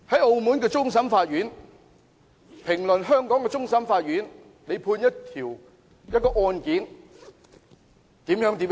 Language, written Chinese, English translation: Cantonese, 澳門終審法院發表評論，指香港終審法院的判決出錯。, The Court of Final Appeal CFA of Macao has commented that a ruling made by the CFA of Hong Kong had been erroneous